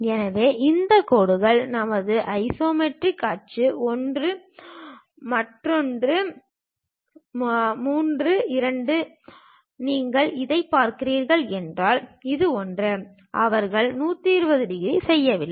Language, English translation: Tamil, So these lines are our isometric axis one, two, three; if you are looking this one, this one; they are not making 120 degrees